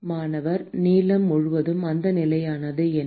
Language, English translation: Tamil, Throughout the length what is that constant